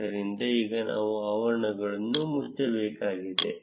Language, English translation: Kannada, So, now we need to close the brackets